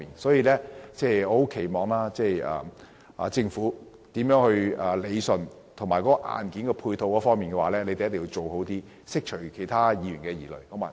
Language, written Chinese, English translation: Cantonese, 所以，我希望政府能夠理順問題，在硬件配套方面做得更好，釋除其他議員的疑慮。, I therefore hope that the Government will iron out the problems by doing a better job of supporting hardware thereby dispelling the misgivings of some Members